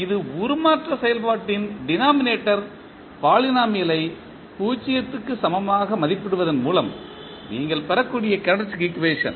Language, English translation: Tamil, The characteristic equation you can obtain by equating the denominator polynomial of the transform function equal to 0